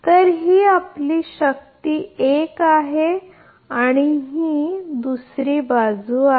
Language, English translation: Marathi, So, this is your power this is 1 and this side is 2